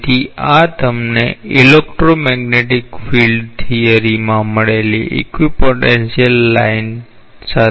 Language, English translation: Gujarati, So, this is very much analogous to the equipotential line that you get in say electromagnetic field theory